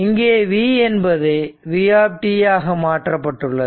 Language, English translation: Tamil, And say this is v and this is v 0 right